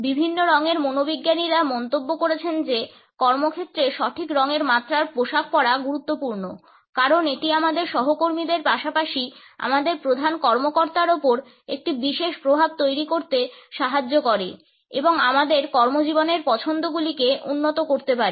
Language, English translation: Bengali, Different color psychologists have commented that wearing the right shades at workplace is important because it helps us in creating a particular impact on our colleagues as well as on our bosses and can enhance our career choices